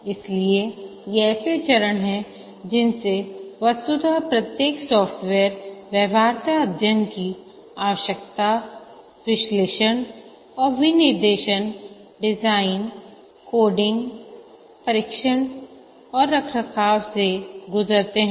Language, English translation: Hindi, So these are the stages that intuitively every software undergoes the feasibility study, requirements analysis and specification, design, coding, testing and maintenance